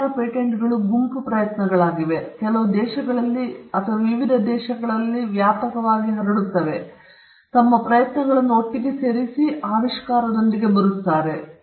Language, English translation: Kannada, Many of the patents are group efforts, done sometimes by teams that are spread across in different countries, they put their efforts together and they come up with an invention